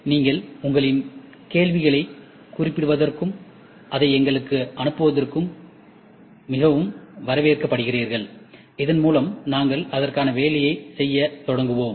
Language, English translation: Tamil, And you are most welcome to note down your queries and send it to us, so that we will start working on it